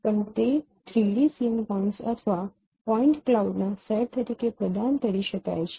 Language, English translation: Gujarati, Also it could be provided as a set of 3d scene points or point cloud